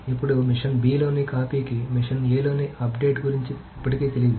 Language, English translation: Telugu, Now the copy at machine B does not still know about the update in the machine A